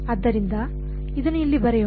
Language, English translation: Kannada, So, let us go back here